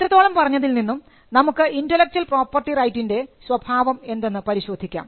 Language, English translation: Malayalam, Now, having said that now we can venture to look at the nature of intellectual property, right